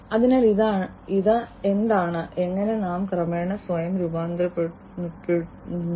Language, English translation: Malayalam, So, this is what and how we are gradually you know transforming ourselves